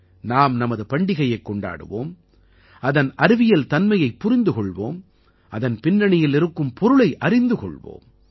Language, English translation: Tamil, Let us celebrate our festivals, understand its scientific meaning, and the connotation behind it